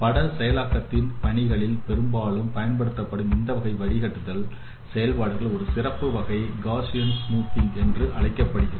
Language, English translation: Tamil, A special case of this kind of filtering operation often used in the image processing tasks is called Gaussian smoothing